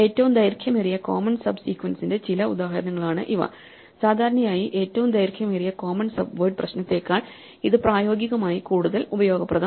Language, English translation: Malayalam, These are some typical example of this longest common subsequence problem and therefore, it is usually much more useful in practice in the longest common subword problem